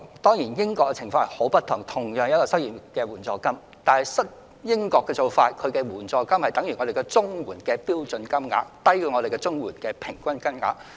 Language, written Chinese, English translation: Cantonese, 當然，英國的情況十分不同，儘管同是失業援助金，但英國的失業援助金相等於香港的綜援標準金額，低於本港的平均金額。, Of course the situation is very different in Britain . The rate of unemployment assistance in Britain is equivalent to the standard CSSA rate in Hong Kong and lower than the average rate of our unemployment assistance